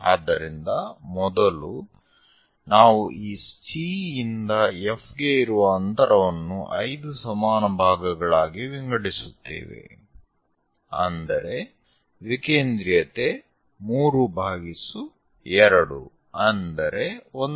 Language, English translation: Kannada, So, first, we divide this C to F into 5 equal parts in such a way that eccentricity 3 by 2 are 1